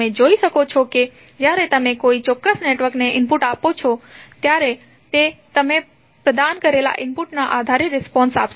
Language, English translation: Gujarati, So, you can see that when you give input to a particular network it will respond based on the input which you have provided